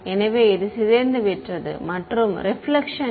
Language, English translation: Tamil, So, it has decayed and there is no reflection right